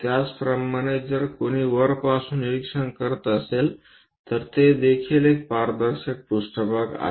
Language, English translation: Marathi, Similarly, if someone is observing from top that is also transparent plane